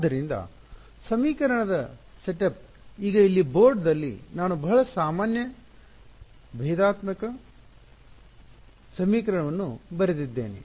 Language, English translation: Kannada, So, the equation setup, now on the board over here I have written very generic differential equation